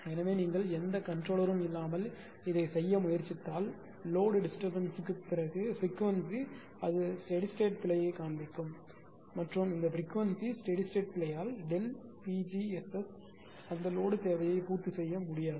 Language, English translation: Tamil, So, without any control or if you try to do this, if there is no controller frequency after load disturbance it will so steady state error and because of this frequency steady state error delta Pg S S cannot meet that load demand